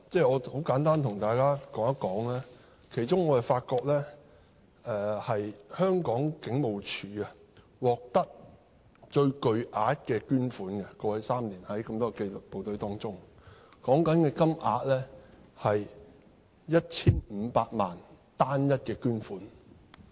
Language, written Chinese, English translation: Cantonese, 我很簡單對大家說說，其中我發覺香港警務處於過去3年在多個紀律部隊中，獲得最巨額的捐款，涉及單一捐款 1,500 萬元。, Let me give a brief account of my findings . I find that among various disciplined services HKPF received the largest amount of donations over the past three years with the largest single donation of as much as 15 million . I am very shocked by that donation figure